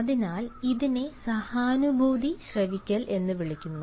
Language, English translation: Malayalam, so this is called empathetic listening